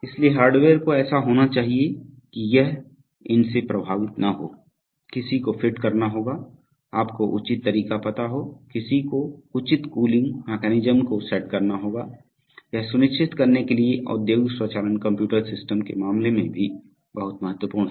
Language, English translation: Hindi, So the hardware has to be such that it is not affected by these, one has to device, you know proper ceilings, one has to device proper cooling mechanisms, these are also very important in the case of industrial automation computer systems to ensure that the tasks are performed reliably and as expected